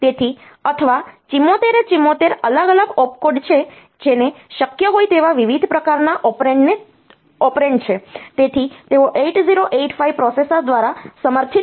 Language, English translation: Gujarati, So, or the 74 are the 74 different opcodes that we that is therefore, supported by the 8085 processor, and by looking into different type of operands that are possible